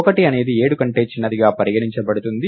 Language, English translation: Telugu, 1 is smaller than 7